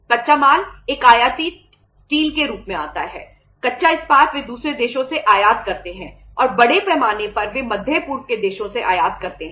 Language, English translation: Hindi, The raw material comes as a imported steel uh say raw steel they imported from the other countries and largely they imported from the Middle East countries